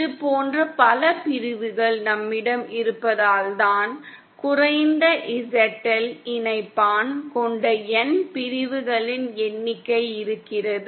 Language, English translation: Tamil, It is because we have a number of sections like this, the N number of sections with a low ZL Connector